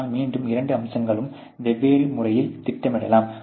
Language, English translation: Tamil, But again you can plot both the aspects in a different manners, you know